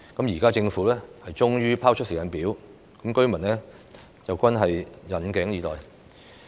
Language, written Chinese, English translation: Cantonese, 現時政府終於拋出有關的時間表，居民均引頸以待。, Now the Government finally rolls out a schedule long awaited by the residents